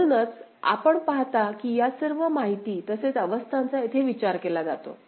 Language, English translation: Marathi, So, that is why you see that all these inputs as well as the states are considered over here